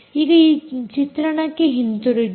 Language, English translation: Kannada, go back to the screen here